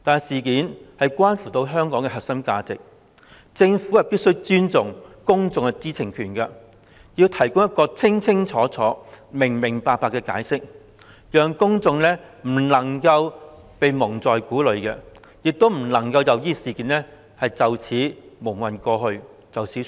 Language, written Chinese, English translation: Cantonese, 事件關乎香港的核心價值，政府必須尊重公眾的知情權，提供一個清清楚楚、明明白白的解釋，公眾不能被蒙在鼓裏，亦不能任由事件這樣蒙混過去而作罷。, Since the incident relates to Hong Kongs core values the Government should respect the publics right to know and provide a clear and full explanation . The public should not be kept in the dark and they should not let the Government muddle through and get off the hook